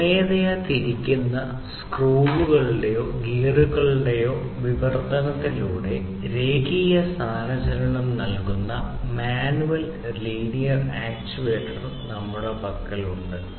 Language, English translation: Malayalam, Then we have the manual linear actuator which provides linear displacement through the translation of manually rotated screws or gears